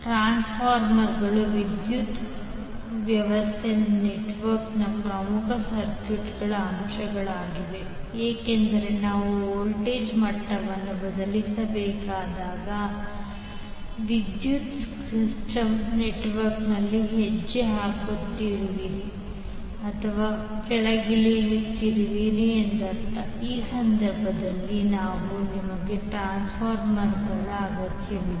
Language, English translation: Kannada, Transformer are the key circuit elements of power system network why because whenever we have to change the voltage level that means either you are stepping up or stepping down in the power system network you need transformer for those cases